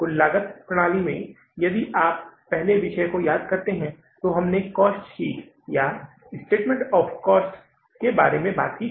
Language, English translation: Hindi, In the total costing system if you recall, the first topic we discussed that was cost sheet or the statement of the cost